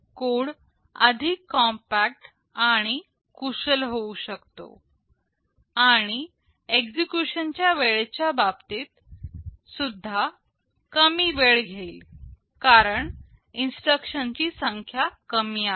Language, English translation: Marathi, The code can be very compact and efficient, and in terms of execution time will also take less time because there are fewer number of instructions